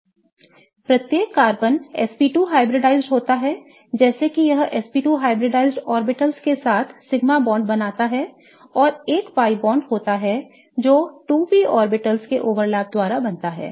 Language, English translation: Hindi, In fact, each carbon is SP2 hybridized such that it forms the sigma bonds with the SP2 hybridized orbitals and there is a pi bond that gets formed which is by the overlap of 2p orbitals